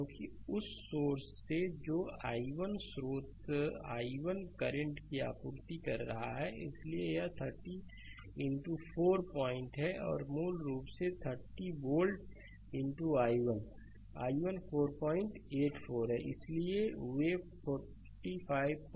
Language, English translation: Hindi, Because, from the source that i 1 source supplying i 1 current, so it is 30 into 4 point and basically 30 volt into i 1; i 1 is 4